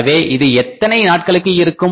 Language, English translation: Tamil, So, how long this is going to prevail